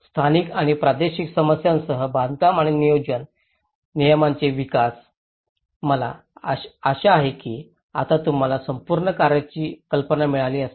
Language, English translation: Marathi, Development of building and planning regulations with local and regional concerns, I hope you have now got an idea of the whole work